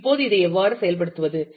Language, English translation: Tamil, Now, how do you implement this